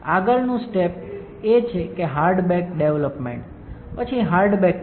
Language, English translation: Gujarati, The next step is to perform hard bake after development hard bake